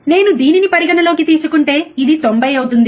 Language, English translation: Telugu, See if I consider this one this will be 90, right